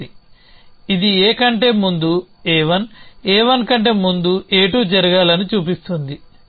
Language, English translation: Telugu, Student: This shows A 2 should happen before this shows that A 1 happens before A